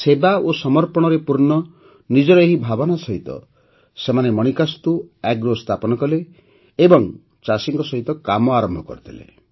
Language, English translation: Odia, With this thinking full of service and dedication, they established Manikastu Agro and started working with the farmers